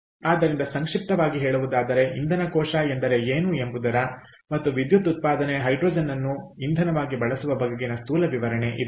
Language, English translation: Kannada, ok, so this is how, in nutshell, what is a fuel cell and an application of generation of electricity using hydrogen as a fuel